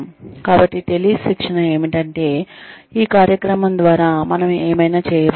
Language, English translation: Telugu, So, telly training is that whatever we are going to have, through this program